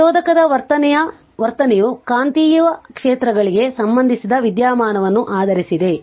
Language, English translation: Kannada, The behavior of inductor is based on phenomenon associated with magnetic fields